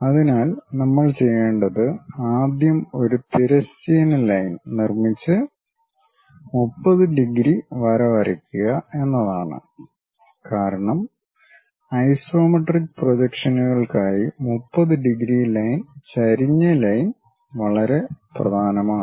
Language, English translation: Malayalam, So, to do that what we have to do is first construct a horizontal line and draw a 30 degrees line because for isometric projections 30 degrees line is inclination line is very important